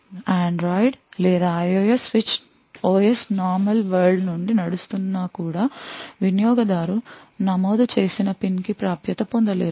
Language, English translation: Telugu, Even the Android or IOS switch OS running from your normal world would not be able to have access to the PIN which is entered by the user